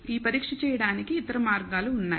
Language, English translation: Telugu, There are other ways of performing this test